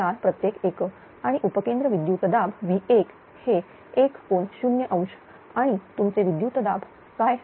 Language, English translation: Marathi, 004 per unit and substation voltage V 1 this one is 1 angle 0 and what your voltage